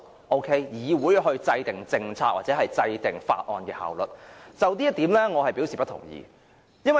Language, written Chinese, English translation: Cantonese, 對於由議會制訂政策或提出法案以提升效率這點，我可不同意。, I do not agree that this Council has to formulate policies or move bills with a view to improve efficiency